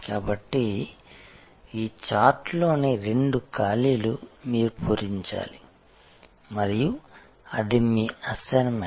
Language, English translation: Telugu, So, these are two gaps in this chart that you have to fill and that is your assignment